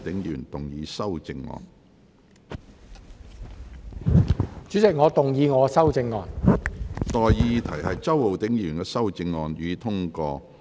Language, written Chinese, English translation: Cantonese, 我現在向各位提出的待議議題是：周浩鼎議員動議的修正案，予以通過。, I now propose the question to you and that is That the amendment moved by Mr Holden CHOW be passed